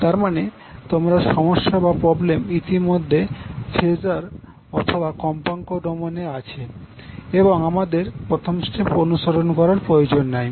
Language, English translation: Bengali, So that means if you already have the problem given in phasor or frequency domain, we need not to follow the first step